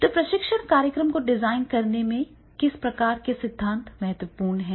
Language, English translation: Hindi, What type of the theories are important in designing the training program